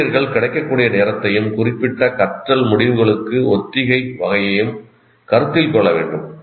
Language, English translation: Tamil, So the teachers need to consider the time available as well as the type of rehearsal appropriate for specific learning outcome